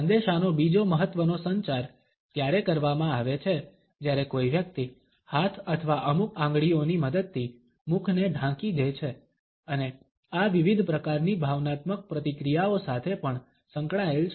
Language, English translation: Gujarati, Another important communication of messages is done when a person covers the mouth with the help of hands or certain fingers and this is also associated with different types of emotional reactions